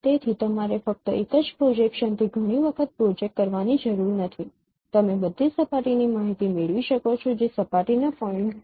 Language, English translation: Gujarati, So, you need not project multiple times only from single projections you can get information of all the surface which is surface points which is lying on this no light strip